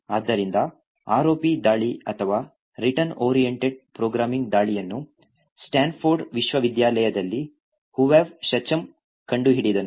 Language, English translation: Kannada, So, the ROP attack or return oriented programming attack was discovered by Hovav Shacham in Stanford University